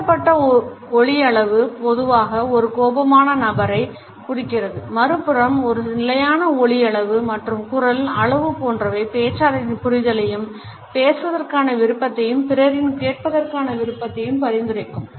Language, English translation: Tamil, An increased volume normally indicates an angry person, on the other hand a level and measured volume of the voice suggest a better empathy the willingness to talk to listen and to negotiate